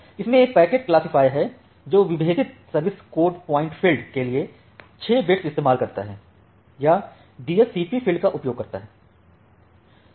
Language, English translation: Hindi, It has a packet classifier which uses a six bit differentiated service coat point field or the DSCP field